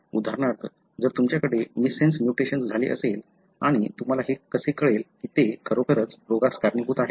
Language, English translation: Marathi, For example, if you have a missense mutation and how do you know that indeed it iscausing the disease